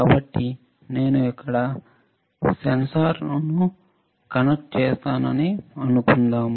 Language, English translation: Telugu, So, suppose I connect a sensor here